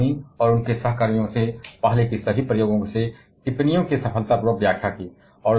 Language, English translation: Hindi, They successfully interpreted the observations from all earlier experiments including that from Fermi and their co workers